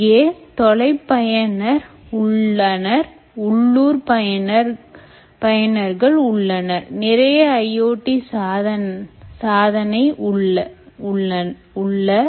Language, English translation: Tamil, you have remote users, you have local users here, you have a lot of i o t devices